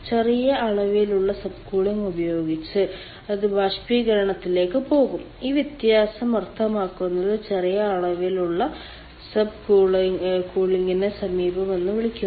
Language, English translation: Malayalam, with that small amount of sub cooling it will go to the evaporator and this difference, that means the small amount of sub cooling, that is called the approach